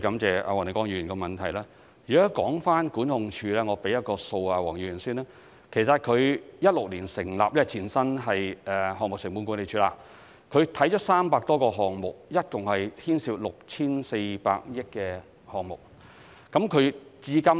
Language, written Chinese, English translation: Cantonese, 就有關的管控部門，我先向黃議員提供一個數字：該管控部門在2016年成立，前身是項目成本管理辦事處，曾審視300多個項目，共牽涉 6,400 億元工程費用。, Regarding the governance office in question I would first of all like to share the following information with Mr WONG The governance office was established in 2016 with the Project Cost Management Office as its predecessor and it has so far scrutinized over 300 proposals on public works projects involving project cost estimates totalling 640 billion